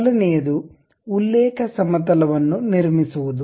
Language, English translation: Kannada, First thing is constructing a reference plane